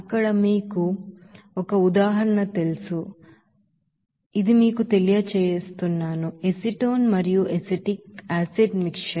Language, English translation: Telugu, There you know as an example here like let it be you know, acetone and acetic acid mixture